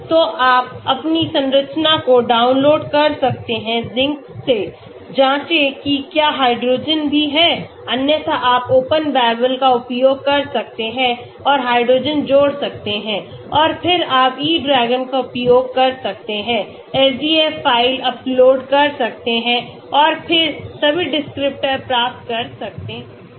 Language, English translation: Hindi, So you can download your structure from Zinc, check whether hydrogens are also there, otherwise you can use Open Babel and add hydrogen and then you can use the E DRAGON, upload the SDF file and then get all the descriptors